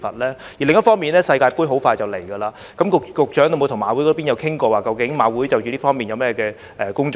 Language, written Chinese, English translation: Cantonese, 另一方面，世界盃快要展開，局長有否與馬會討論其接下來會就這方面進行哪些工作？, On another front as the World Cup will soon be held has the Secretary discussed with HKJC on the upcoming work in this regard?